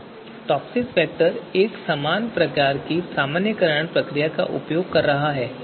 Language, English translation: Hindi, Here TOPSIS vector is using a similar kind of normalization procedure